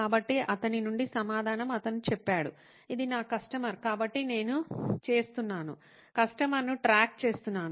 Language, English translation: Telugu, So the answer from him, his own mouth: this is my customer, so I am doing, tracking the customer